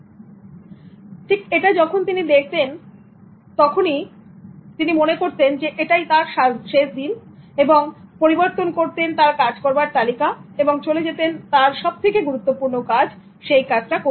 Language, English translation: Bengali, Then whenever he looked at if this is that day, the final day, so he altered his to do list and then he went for the most important one that is on the topmost priority